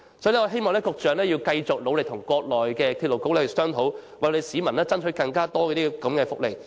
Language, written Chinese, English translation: Cantonese, 所以，我希望局長要繼續努力跟國內的鐵路局商討，為香港市民爭取更多這類福利。, Therefore I hope that the Secretary will continue to discuss proactively with the National Railway Administration in the Mainland in order to strive for more welfare of this kind to Hong Kong people